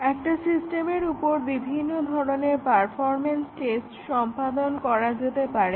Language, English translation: Bengali, There are a variety of performance tests that can be carried out on a system